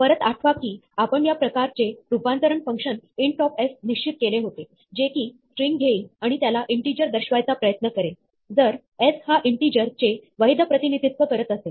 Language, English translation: Marathi, Recall that, we had defined this type conversion function int of s, which will take a string and try to represent it as an integer, if s is a valid representation of an integer